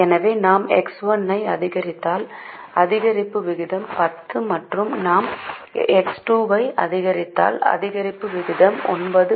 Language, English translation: Tamil, so if we increase x one, the rate of increase is ten and if we increase x two, the rate of increase is nine